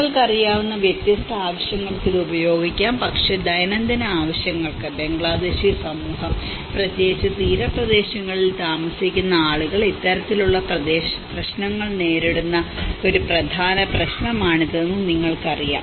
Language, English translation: Malayalam, It can be used for different purposes you know but for a daily needs, you know this is one of the important problem which the Bangladeshi community especially the people who are living in the coastal areas they have come across with this kind of problems